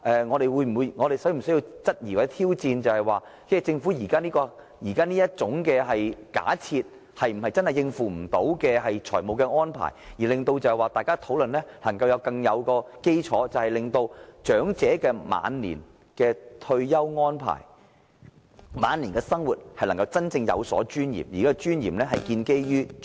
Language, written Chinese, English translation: Cantonese, 我們應否質疑或挑戰政府這個假設，是否真的是無法應付的財務安排，為大家的討論奠定良好基礎，使長者能夠作出更好的退休安排，以及真正有尊嚴地過晚年生活。, In this way a good foundation can be laid for our discussion with a view to enabling the elderly to make better arrangements for their retirement and genuinely live with dignity in their twilight years